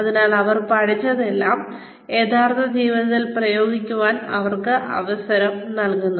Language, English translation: Malayalam, So, that is, they are given a chance to apply, whatever they have learned, to real life